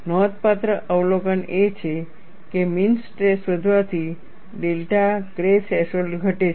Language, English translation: Gujarati, That means, if the mean stress is increased, the delta K threshold comes down